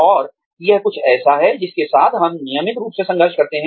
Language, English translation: Hindi, And, this is something that, we struggle with, on a regular basis